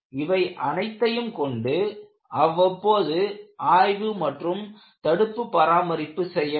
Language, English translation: Tamil, This is very important; with all this, go for periodic inspection and preventive maintenance